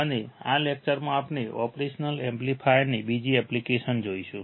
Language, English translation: Gujarati, And in this lecture, we will see another application of operational amplifier